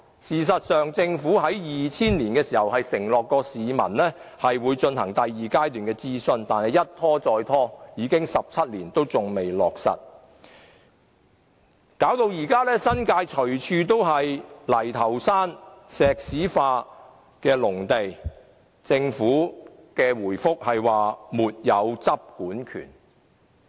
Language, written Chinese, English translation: Cantonese, 事實上，政府於2000年承諾市民會進行第二階段諮詢，但諮詢一拖再拖，已經17年仍未落實承諾，導致新界到處都是泥頭山、石屎農地，但政府的答覆卻是"沒有執管權"。, In fact the Government promised the public in 2000 that it would conduct the second stage of a consultation but the consultation has been held up time and again . Seventeen years have passed and the Government has yet to deliver its promise thus resulting in rubbish tips and concrete farmland everywhere in the New Territories . But all that the Government has said in the reply is that it does not have the enforcement and regulatory power